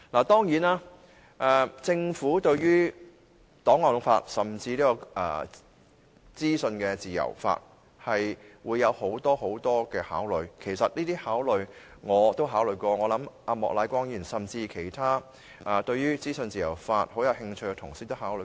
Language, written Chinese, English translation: Cantonese, 當然，政府對於檔案法和資訊自由法會有很多考慮，其實這些考慮我也考慮過，我相信莫乃光議員和其他對於資訊自由法很有興趣的同事也考慮過。, Certainly the Government will have a lot of considerations for the archives law and the legislation on freedom of information . These considerations have actually been considered by me too . I believe Mr Charles Peter MOK and other colleagues who are interested in the legislation on freedom of information will have considered them as well